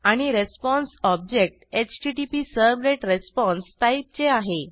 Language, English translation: Marathi, And response object is of type HttpServletResponse